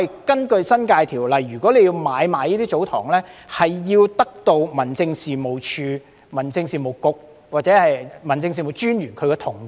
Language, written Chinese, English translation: Cantonese, 根據《新界條例》，要買賣這些祖堂地必須獲得民政事務總署、民政事務局或民政事務專員同意。, Under the New Territories Ordinance the consent issued by the Home Affairs Department the Home Affairs Bureau or District Officers is required for the transactions of TsoTong lands